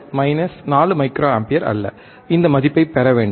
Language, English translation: Tamil, So, nNot minus 4 microampere, do not get this value